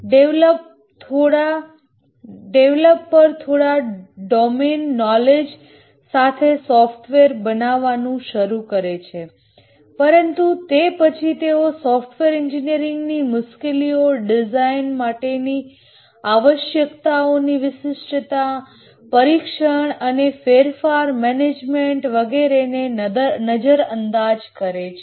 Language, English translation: Gujarati, The developers start developing with some domain knowledge but then they ignore the software engineering issues, design, requirement specification, testing, change management and so on